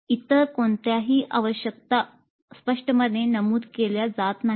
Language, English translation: Marathi, No other requirements are stated upfront